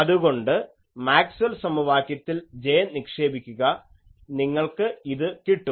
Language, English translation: Malayalam, So, put J in the Maxwell’s equation you get this